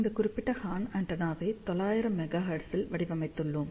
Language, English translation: Tamil, So, we have designed this particular horn antenna at 900 megahertz